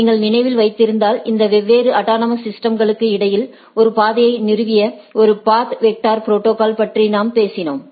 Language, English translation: Tamil, If you recollect, so we talked about a path vector protocol which established a path between these different autonomous systems right